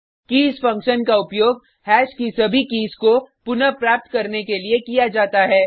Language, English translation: Hindi, keys function on hash, returns an array which contains all keys of hash